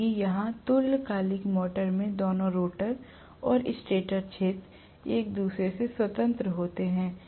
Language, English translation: Hindi, Whereas here in synchronous motor the rotor and the stator field both of them are independent of each other